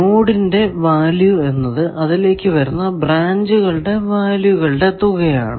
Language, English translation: Malayalam, Value of a node is equal to the sum of the values of the branches entering it